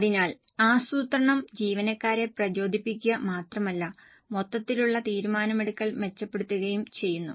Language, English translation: Malayalam, So, planning not only motivates the employees, it also improves overall decision making